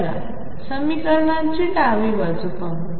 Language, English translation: Marathi, Let us work on the left hand side